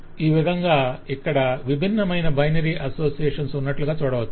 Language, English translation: Telugu, so these are different binary associations